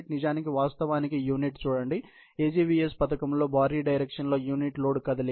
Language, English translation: Telugu, In fact, actually, see the unit; heavy directional unit load movement in the AGVS scheme